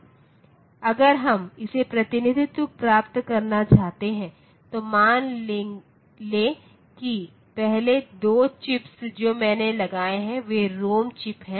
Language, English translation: Hindi, So, if we want to get it representation so suppose first to 2 chips that I put so they are the ROM chips